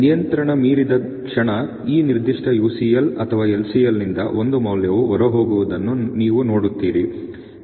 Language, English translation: Kannada, The moment it goes beyond control you will see one value going out of this particular UCL or LCL